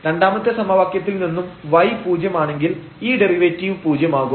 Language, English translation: Malayalam, So, if y is 0 from the second equation which is making this derivative 0